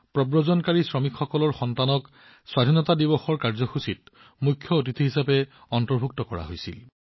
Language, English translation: Assamese, Here the children of migrant laborers were included as chief guests in the Independence Day Programme of the Panchayat